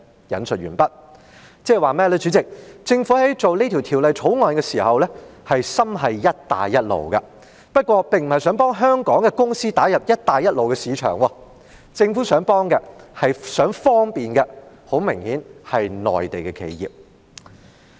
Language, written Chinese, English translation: Cantonese, 即政府在處理這項《條例草案》時，心繫"一帶一路"，不過，它並不是想幫香港公司打入"一帶一路"的市場，它想幫忙和方便的，很明顯是內地企業。, It means that the Belt and Road Initiative is what the Government has in mind while handling this Bill . But its intention is not to help Hong Kong companies to enter the Belt and Road markets but rather apparently to help and give convenience to Mainland enterprises